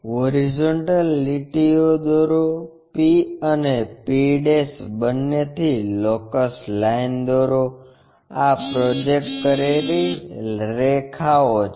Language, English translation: Gujarati, Draw horizontal lines, locus lines both from p and p', these are the projected lines